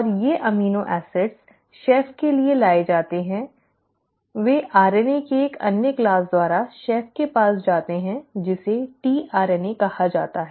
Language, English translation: Hindi, And these amino acids are brought to the chef; they are ferried to the chef by another class of RNA which is called as the tRNA